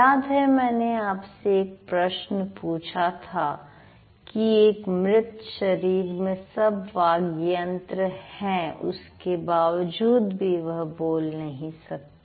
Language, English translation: Hindi, So, remember I asked you the question, dead body, it has all the speech organs, right, intact, yet it cannot speak